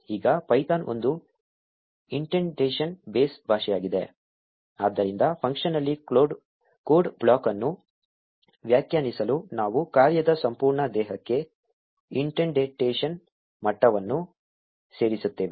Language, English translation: Kannada, Now python is an indentation base language, so to define a code block within a function, we will add an indentation level to the entire body of the function